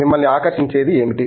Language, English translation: Telugu, What fascinates you